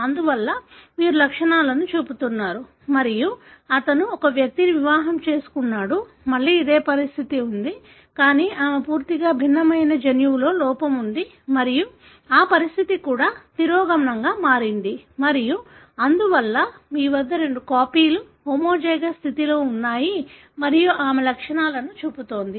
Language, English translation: Telugu, Therefore, you are showing the symptoms and he is married to an individual, again having a very similar condition, but she is having a defect in altogether a different gene and that condition is also recessive and therefore, you have both copies in homozygous condition and she is showing the symptoms